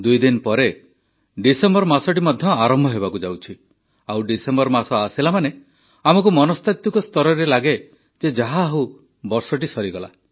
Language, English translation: Odia, Two days later, the month of December is commencing…and with the onset of December, we psychologically feel "O…the year has concluded